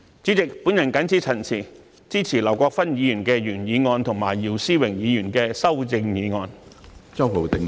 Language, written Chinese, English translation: Cantonese, 主席，我謹此陳辭，支持劉國勳議員的原議案和姚思榮議員的修正案。, President with these remarks I support the original motion of Mr LAU Kwok - fan and the amendment of Mr YIU Si - wing